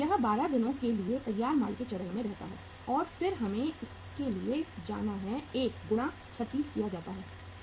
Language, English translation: Hindi, It remains at the finished goods stage for the 12 days and then we have to go for it plus 1 multiplied by uh this is 36